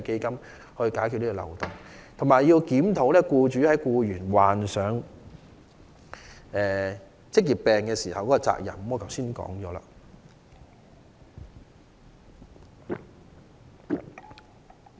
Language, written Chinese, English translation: Cantonese, 此外，政府亦需要檢討僱主在僱員罹患職業病時的責任，我剛才已討論這點。, Besides the Government also needs to review employers liability for employees with occupational diseases . I have also discussed this issue